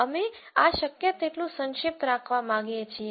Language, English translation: Gujarati, We would like to keep these as compact as possible